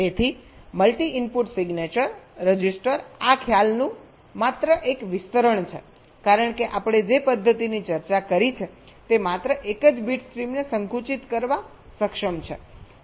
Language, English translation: Gujarati, so multi input signature register is just an extension of this concept because, ah, the method that we have discussed is able to compress only a single bit stream